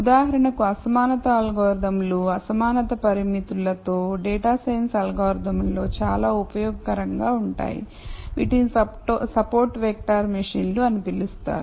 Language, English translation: Telugu, For example, the algorithms for inequality can with inequality constraints are very useful in data science algorithm that is called support vector machines and so on